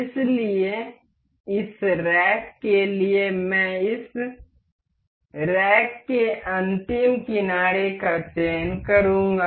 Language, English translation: Hindi, So, for this rack I will just select the last edge of this rack